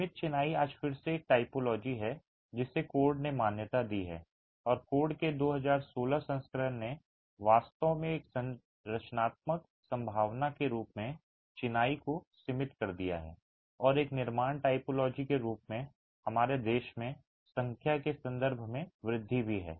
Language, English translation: Hindi, Confined masonry today is again a typology that the code has recognized and in the 2016 version of the code actually has confined masonry as a structural possibility and is also increasing in terms of numbers in our country as a construction typology